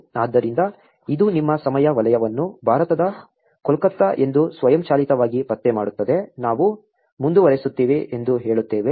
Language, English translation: Kannada, So, it automatically detects your time zone to be Kolkata, India, we say continue